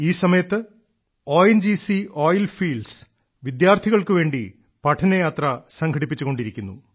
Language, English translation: Malayalam, These days, ONGC is organizing study tours to oil fields for our students